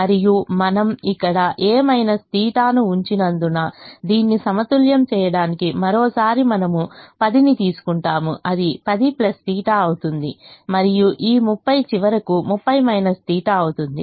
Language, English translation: Telugu, and since we have put a minus theta here, once again to balance this, we will get ten becomes ten plus theta and this thirty will finally become thirty minus theta